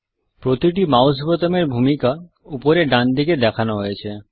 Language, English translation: Bengali, The role of each mouse button is shown on the top right hand side